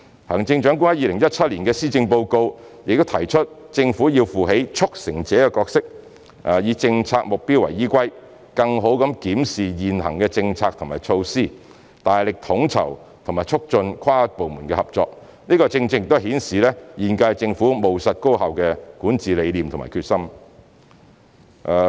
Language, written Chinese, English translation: Cantonese, 行政長官在2017年施政報告提出政府要負起"促成者"的角色，以政策目標為依歸，更好地檢視現行的政策和措施，大力統籌和促進跨部門合作，這正正顯示現屆政府務實高效的管治理念和決心。, The Chief Executive mentioned in the 2017 Policy Address that in taking up the role of a facilitator the Government should scrutinize existing policies and measures pursuant to policy objectives and strengthen coordination and cooperation across government bureaux and departments showing the pragmatic and efficient governance vision and determination of the current - term Government